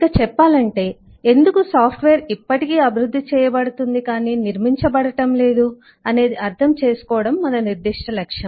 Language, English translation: Telugu, so to specify the specific objective would be to understand why software is still developed and not constructed